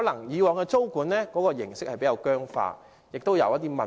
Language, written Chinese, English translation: Cantonese, 以往的租管形式可能比較僵化，亦存在一些問題。, The previous system of tenancy control might be relatively rigid and problematic